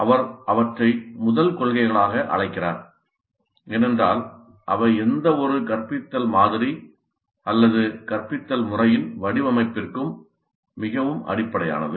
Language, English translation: Tamil, He calls them as first principles because they are very basic to the design of any instructional model or instructional method